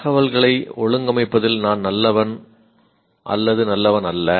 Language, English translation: Tamil, I am good, not good at organizing information